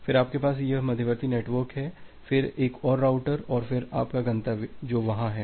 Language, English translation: Hindi, Then you have this intermediate network, then another router and then your destination which is there